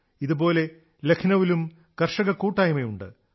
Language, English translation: Malayalam, One such group of farmers hails from Lucknow